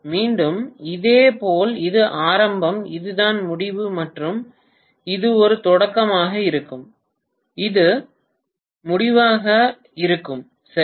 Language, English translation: Tamil, Again similarly, this is the beginning this is the end and this is going to be the beginning and this is going to be the end, right